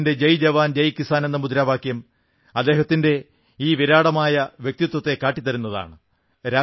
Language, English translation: Malayalam, His slogan "Jai Jawan, Jai Kisan" is the hall mark of his grand personality